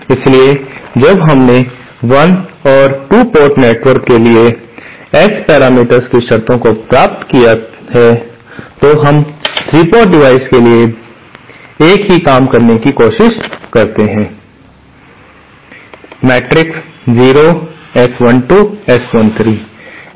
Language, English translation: Hindi, So, while we have derived the conditions of the S parameters for 1 and 2 port networks, let us try to do the same thing for 3 port devices